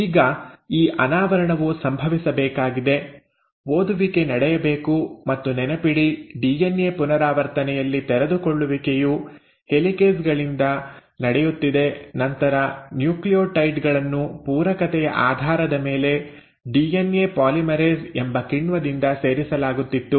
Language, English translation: Kannada, Now this uncoiling has to happen, the reading has to take place and all this; remember in DNA replication the uncoiling was happening by helicases and then the nucleotides were being added by an enzyme called as DNA polymerase based on complementarity